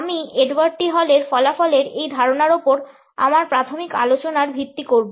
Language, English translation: Bengali, I would base my initial discussions over this concept on the findings of Edward T Hall